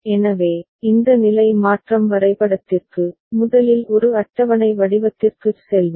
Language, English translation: Tamil, So, for that this state transition diagram, we’ll first move to a corresponding a tabular form ok